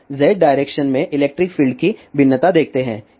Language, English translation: Hindi, Now, let us see variation of electric field in Z direction